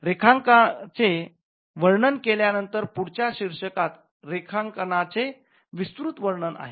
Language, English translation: Marathi, Now, following the description of drawing, the next heading will be detailed description of the drawing